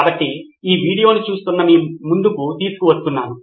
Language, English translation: Telugu, So, I am bringing this to you who are viewing this video